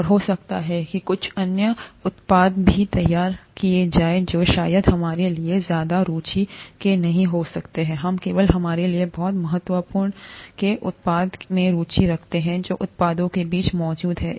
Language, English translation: Hindi, And may be some other products are also produced, which may not be of much interest to us, we’re interested only in the product of great importance to us, amongst the products that are present